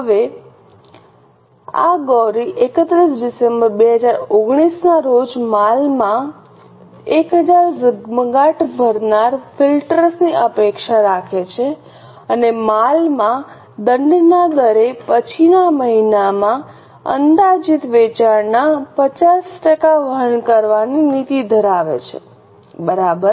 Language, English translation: Gujarati, Now this Gauri expects to have 1000 glare filters in the inventory at December 31st 2019 and has a policy of carrying 50% of following months projected sales in inventory